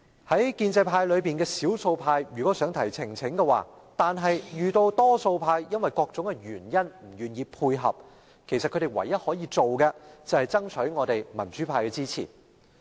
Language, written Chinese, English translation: Cantonese, 在建制派內的少數派如果想提出呈請，卻因為多數派基於各種原因而不願配合，他們唯一可行的辦法便是爭取我們民主派的支持。, If the minority in the pro - establishment camp want to present a petition but the majority are unwilling to collaborate for various reasons their only feasible course of action is to lobby the pro - democracy camp for support